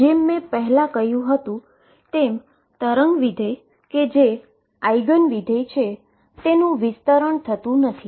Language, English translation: Gujarati, As I said earlier the wave functions that are Eigen functions do not have a spread